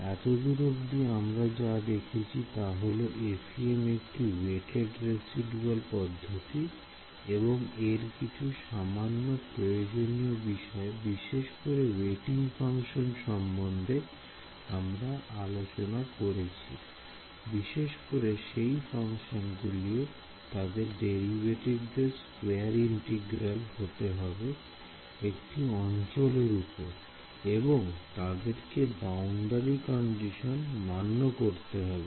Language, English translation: Bengali, So, what we have seen so far is this idea that FEM is a weighted residual method and we discussed some very simple requirements on the weighting functions; basically that the functions and their derivative should be square integrable over the domain and the other is that they must obey the boundary conditions ok